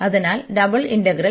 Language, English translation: Malayalam, So, the double integral